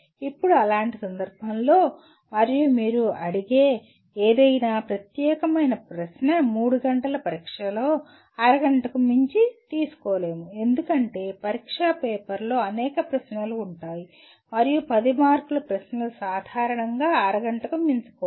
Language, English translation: Telugu, Now in such a case, and any particular question that you ask cannot take in a 3 hour exam more than half an hour because an exam paper will have several questions and a 10 mark questions should take normally not more than half an hour